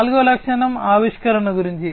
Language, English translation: Telugu, The fourth feature is about innovation